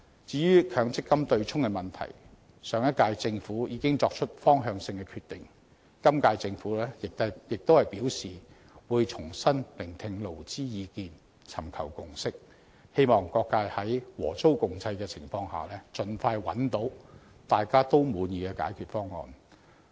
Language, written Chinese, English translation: Cantonese, 至於強積金對沖機制，上屆政府已經作出方向性的決定，今屆政府亦表示會重新聆聽勞資意見，尋求共識，希望各界在和衷共濟的情況下，盡快找到大家也滿意的解決方案。, As for the offsetting mechanism of MPF the previous Government determined the direction . The incumbent Government has expressed the intention of consulting the views of employers and employees again with a view to fostering a consensus hoping that a solution to the satisfaction of all sectors may be identified expeditiously with this joint effort